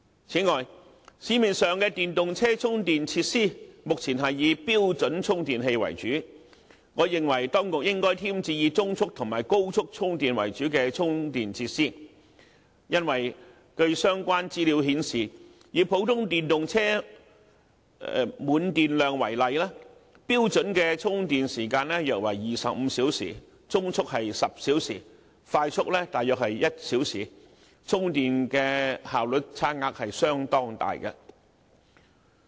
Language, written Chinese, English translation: Cantonese, 此外，市面上的電動車充電設施目前是以標準充電器為主，我認為當局應該添置以中速和高速充電為主的充電設施，因為據相關資料顯示，以普通電動車電量為例，標準的充電時間約為25小時，中速是10小時，快速大約是1小時，充電的效率差額相當大。, Besides given that the EV charging facilities currently available for use in the market are mainly standard chargers I think the authorities should procure those charging facilities that mainly provide medium and quick charging . It is because according to relevant information the charging efficiency of different types of chargers varies greatly the standard charging time required for charging of an ordinary EV by using standard medium and quick chargers is about 25 hours 10 hours and 1 hour respectively